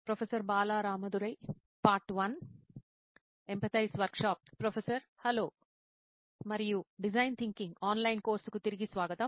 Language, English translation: Telugu, Hello and welcome back to design thinking, the online course